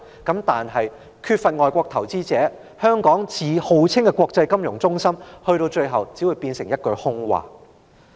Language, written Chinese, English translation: Cantonese, 但是，缺少外國投資者，最後只會令香港的國際金融中心稱號，變成一句空話。, Nevertheless without foreign investors Hong Kongs reputation as an international financial centre will eventually become empty talk